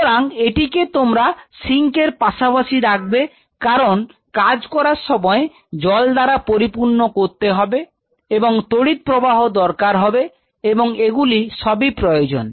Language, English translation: Bengali, So, close to the sink because you have to fill water and everything and they need a power supply and that is all you need it